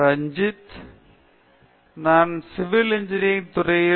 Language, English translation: Tamil, Hi I am Ranjith, from the Department of Civil Engineering